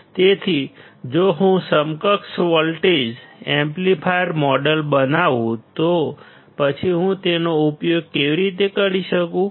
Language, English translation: Gujarati, So, if I make an equivalent voltage amplifier model; then how can I use it